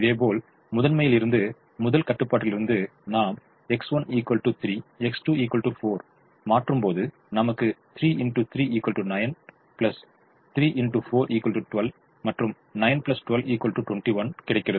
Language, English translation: Tamil, similarly, from the primal, from the first constraint, when we substitute x one equal to three, x two equal to four, we get three into three, nine plus three into four